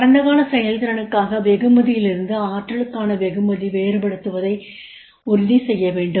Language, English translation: Tamil, Ensure to distinguish a reward for potential from reward for past performance